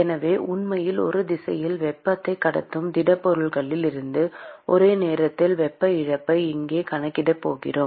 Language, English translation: Tamil, So, here we are going to account for simultaneous loss of heat from the solid which is actually conducting heat in one direction